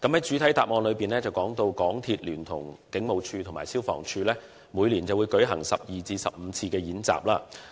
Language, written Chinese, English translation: Cantonese, 主體答覆提到，港鐵聯同警務處和消防處每年會舉行12至15次演習。, The main reply mentions that MTRCL conducts 12 to 15 drills in conjunction with the Hong Kong Police Force and the Fire Services Department every year